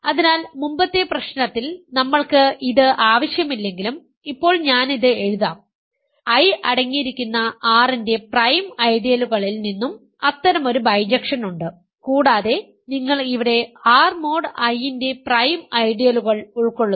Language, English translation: Malayalam, So, now I might as well write this though we do not need it in the previous problem, there is such a bijection also from prime ideals of R containing I and here also you put prime ideals of R mod I